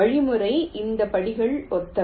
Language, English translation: Tamil, this steps of the algorithm are similar